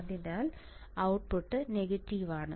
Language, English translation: Malayalam, So, output is my negative